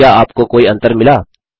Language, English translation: Hindi, So Do you find any difference